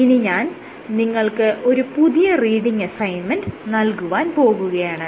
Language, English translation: Malayalam, So, you will have another reading assignment